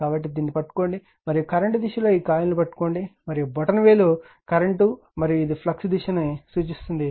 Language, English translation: Telugu, So, you grabs it and this is in the direction of the current you grabs the coil and this in the direction of the current and thumb you will indicate your direction of the flux